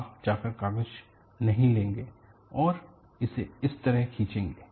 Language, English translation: Hindi, You will not go and take the paper, and pull it like this